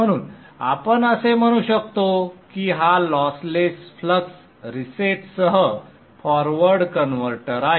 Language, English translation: Marathi, So as you can see this is the lossless core reset type of forward converter